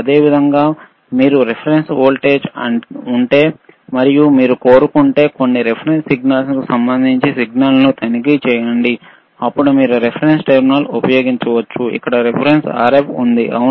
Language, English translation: Telugu, Similarly, if you have a reference voltage, and you want to check that is the signal with respect to some reference signal, then you can use a reference terminal here,